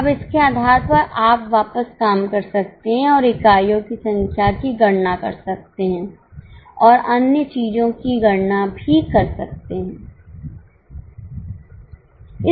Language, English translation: Hindi, Now, based on this, you can work back and compute the number of units and also compute the other things